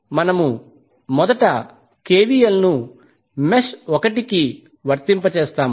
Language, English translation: Telugu, So we will apply KVL first to mesh 1